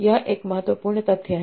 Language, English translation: Hindi, So this is the important idea